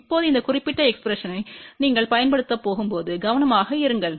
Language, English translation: Tamil, Now, be careful when you are going to use this particular expression